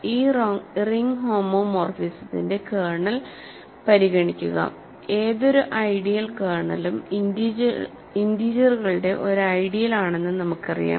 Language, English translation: Malayalam, So, consider the kernel of this ring homomorphism, we know that any ideal kernel is an ideal of the integers